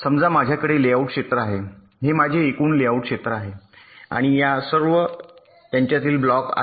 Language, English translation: Marathi, suppose i have the layout area, this is my total layout area, and all the blocks are in between